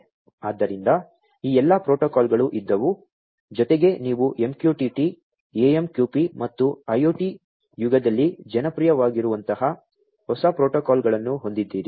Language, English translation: Kannada, So, all these protocols have been there plus you have new protocols such as MQTT, AMQP and many others which have become popular in the IoT era